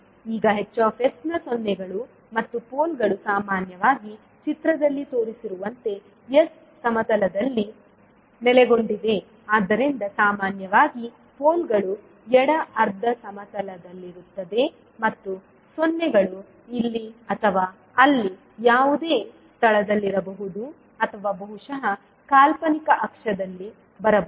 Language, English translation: Kannada, Now zeros and poles of h s are often located in the s plane as shown in the figure so generally the poles would be in the left half plane and zeros can be at any location weather here or there or maybe at the imaginary axis